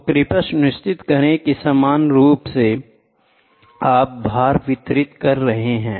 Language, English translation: Hindi, So, please make sure that uniformly you distribute the loads